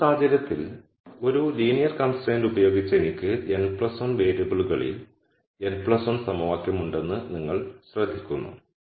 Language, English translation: Malayalam, Now, you notice that in this case with one linear constraint I have n plus 1 equation in n plus 1 variables